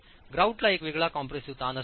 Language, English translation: Marathi, The grout will have a different compressive stress